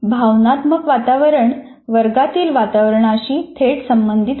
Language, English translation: Marathi, Now, the emotional climate is related directly to the classroom climate and the institutional climate